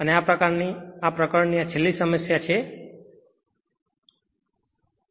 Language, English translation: Gujarati, And this is your last problem for this last problem for this chapter